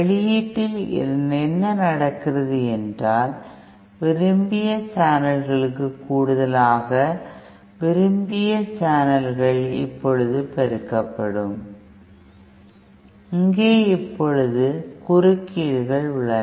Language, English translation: Tamil, What happens in the output is that in addition to the desired channels, so the desired channels will now be amplified, we also have now interferers